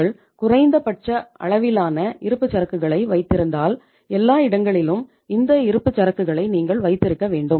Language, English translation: Tamil, You are keeping minimum level of inventory so it means everywhere you have to keep the inventory